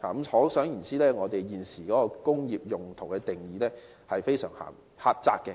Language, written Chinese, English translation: Cantonese, 可想而知，我們現時對工業用途的定義非常狹窄。, It can be seen that the current definition of industrial purposes is extremely narrow